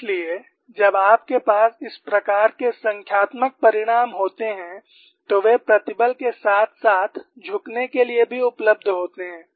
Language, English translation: Hindi, So, when you have these kinds of a numerical result, they are also available for tension as well as bending